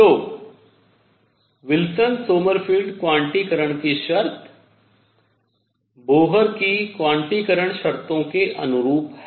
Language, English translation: Hindi, So, Wilson Sommerfeld quantization condition is consistent with Bohr’s quantization conditions